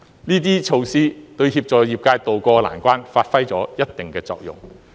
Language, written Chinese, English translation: Cantonese, 這些措施，對協助業界渡過難關發揮了一定的作用。, These measures have considerably helped these sectors in tiding over this difficult time